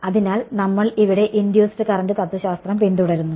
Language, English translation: Malayalam, So, we follow the induced current philosophy over here ok